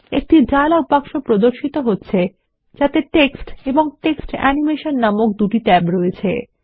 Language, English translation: Bengali, A dialog box appears which has tabs namely Text and Text Animation